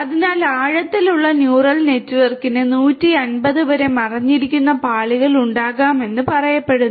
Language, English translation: Malayalam, So, it is said that the deep neural network can have up to 150 hidden layers